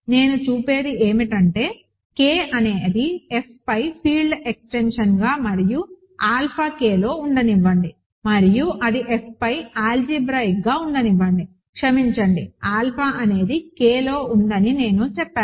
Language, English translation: Telugu, So, what I will show is that let K be field extension over F and let alpha be in K and suppose its algebraic over F, sorry I will not say that let alpha be in K